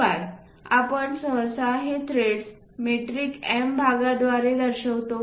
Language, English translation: Marathi, And usually these threads by metric M portions we will show